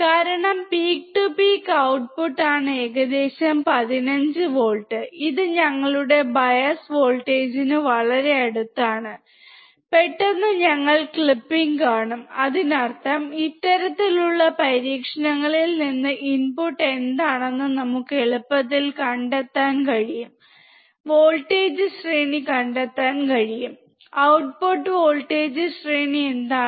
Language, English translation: Malayalam, Because the output peak to peak is around 15 volts, it is very close to our bias voltage, suddenly, we will see the clipping; that means, that from this kind of experiments, we can easily find what is the input voltage range, what is the output voltage range